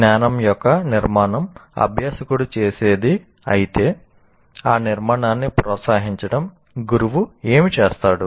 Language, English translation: Telugu, But if construction is what the learner does, what the teacher does is to foster that construction